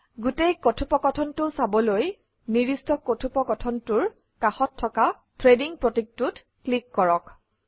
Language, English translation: Assamese, To view the full conversation click on the Threading symbol present next to the corresponding thread